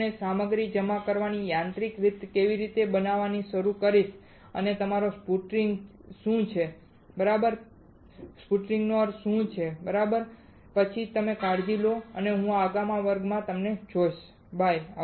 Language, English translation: Gujarati, I will start showing you a mechanical way of depositing of material and that is your sputtering right what exactly a sputtering means alright is then you take care I will see you next class, bye